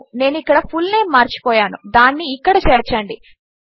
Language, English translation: Telugu, I forgot the fullname here, so Ill add it there